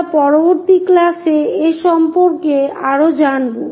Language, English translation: Bengali, We will learn more about that in the later classes